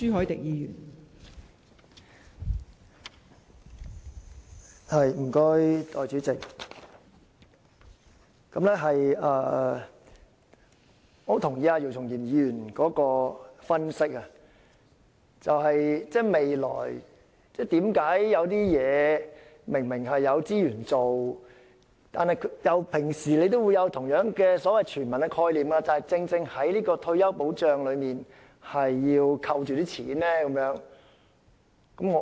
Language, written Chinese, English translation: Cantonese, 代理主席，我認同姚松炎議員的分析，就是有些事情明明是有資源可以做到的，而當局平時也同樣有所謂"全民"的概念，但為何在退休保障方面，卻扣着款項不願提供呢？, Deputy President I agree with Dr YIU Chung - yims analysis . Something can obviously be achieved with the available resources and the authorities have similarly applied the so - called concept of universality in its work usually . But when it comes to retirement protection why does it withhold the money unwilling to provide it?